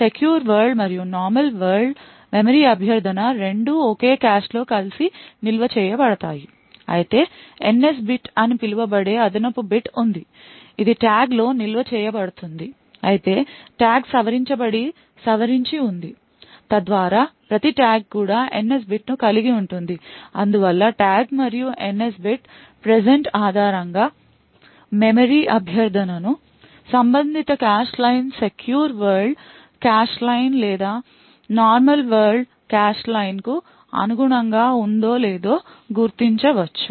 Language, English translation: Telugu, Both secure world as well as normal world memory request are stored together in the same cache however there is an additional bit known as the NS bit which is stored in the tag however the tag is modified so that each tag also comprises of the NS bit it thus based on the tag and the NS bit present a memory request can be identified whether the corresponding cache line corresponds to a secure world cache line or a normal world cache line